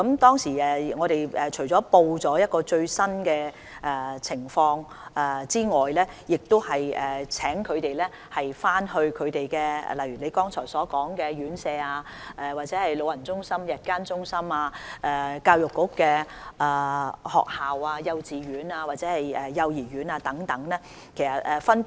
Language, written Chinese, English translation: Cantonese, 當時我們除了報告最新的疫情外，亦請他們回去按其工作範疇與——正如議員剛才提到的——院舍、長者中心、長者日間護理中心、學校、幼稚園及幼兒園等溝通。, At the time in addition to reporting the latest developments of the epidemic I also asked them to go back and as per their areas of work communicate with―as suggested by the Member―residential care homes elderly centres day care centres for the elderly schools kindergartens nurseries etc